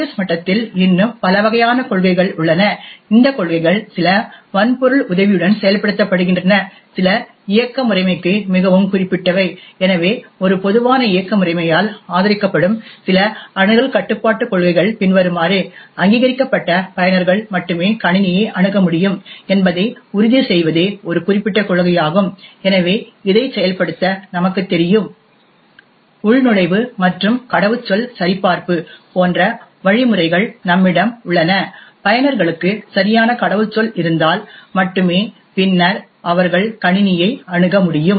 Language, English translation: Tamil, Now at the OS level there are several more different types of policies, some of these policies are implemented with the help of the hardware, while some are very specific to the operating system, so some of the access control policies supported by a typical operating system are as follows, one particular policy is to ensure that only authenticated users should be able to access the system, so as we know in order to implement this we have mechanisms such as the login and password checking and only if users have a valid password and then would they be able to access the system